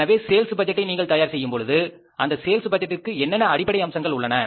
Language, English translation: Tamil, So, when you prepare the sales budget, when you prepare the sales budget, what is the basic promises for that sales budget